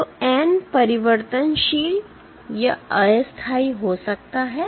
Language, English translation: Hindi, So, n may be variable